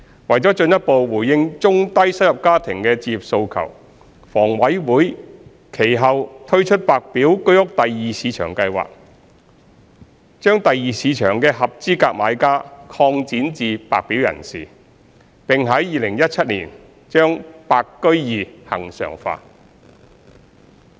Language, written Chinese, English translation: Cantonese, 為進一步回應中低收入家庭的置業訴求，房委會其後推出白表居屋第二市場計劃，將第二市場的合資格買家擴展至白表人士，並於2017年將白居二恆常化。, To further address the home ownership aspirations of low - to middle - income families HA subsequently launched the White Form Secondary Market Scheme WSM to expand the scope of eligible buyers of the Secondary Market to include White Formers and regularized WSM in 2017